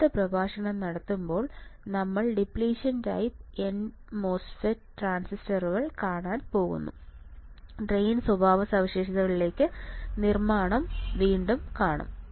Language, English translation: Malayalam, Next time a next lecture what we are going to see, we are going to see the depletion type n mos transistor and again we will see the construction to the drain characteristics